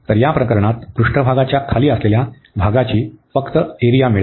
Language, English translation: Marathi, So, we will get just the area under this the volume of under the surface in this case